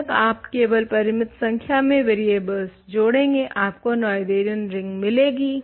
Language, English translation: Hindi, As long as you are only attaching finitely many variables you get Noetherian s